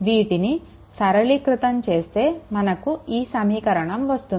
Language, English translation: Telugu, So, upon simplification you will get this equation 3 right